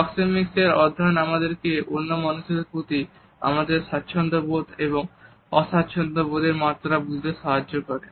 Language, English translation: Bengali, The study Proxemics helps us to understand the level of comfort and discomfort, which we have towards other people